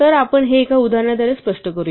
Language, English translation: Marathi, So, let us illustrate this with an example